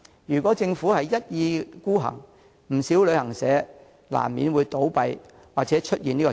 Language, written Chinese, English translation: Cantonese, 如果政府一意孤行，不少旅行社難免會倒閉或出現裁員潮。, Should the Government go ahead despite opposition quite many travel agents will inevitably face closure or layoffs